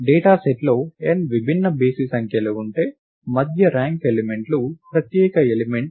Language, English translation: Telugu, If there are n distinct odd numbers in the dataset then the middle ranked elements is the unique element